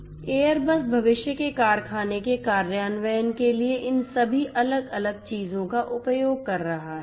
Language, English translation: Hindi, So, Airbus is using all of these different things a for it is implementation of factory of the future